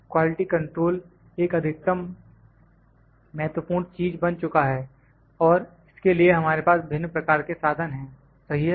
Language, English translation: Hindi, Quality control became an utmost important thing and we had multiple instruments in this right